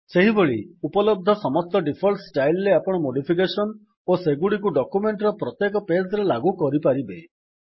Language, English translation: Odia, Likewise you can do modifications on all the available default styles and apply them on each page of the document